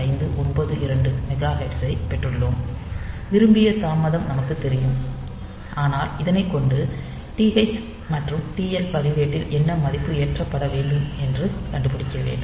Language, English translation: Tamil, 0592 megahertz and we know the desired delay, but what value should be loaded into TH and TL register